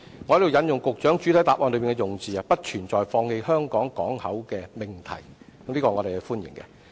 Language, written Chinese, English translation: Cantonese, 我在此引述局長在主體答覆的用字："不存在放棄香港港口的命題"，對此我們表示歡迎。, I would like to quote the wording of the Secretary in his main reply which says there is no question of abandoning HKP . We welcome this clarification